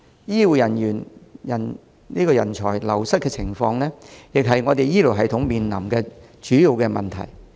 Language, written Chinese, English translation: Cantonese, 醫護人才流失的情況，亦是醫療系統面臨的主要問題。, The wastage of healthcare personnel is also a major problem facing healthcare